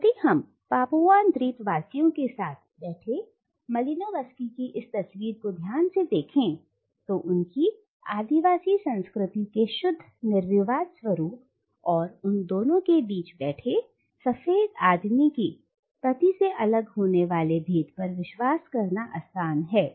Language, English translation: Hindi, And if we look at this picture of Malinowski sitting with Papuan islanders, it is easy to believe both in the pure uncontaminated nature of their aboriginal culture and the distinction separating them from the culture of the white man who is sitting between them